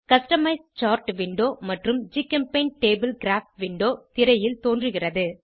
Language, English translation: Tamil, Customize Chart window and GChemTable Graph window appear on the screen